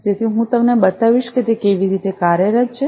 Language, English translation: Gujarati, So, I will show you how is it working